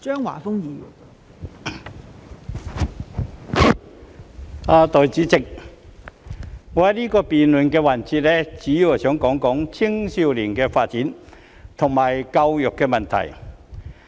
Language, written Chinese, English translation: Cantonese, 代理主席，在這個辯論環節，我會主要談及青少年的發展及教育問題。, Deputy President in this debate session I will mainly talk about youth development and education